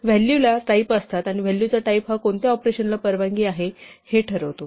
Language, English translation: Marathi, Values have types, and essentially the type of a value determines what operations are allowed